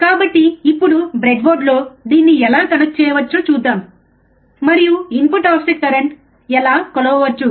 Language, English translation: Telugu, So, let us see now on the breadboard, how we can connect this and how we can measure the input offset current all right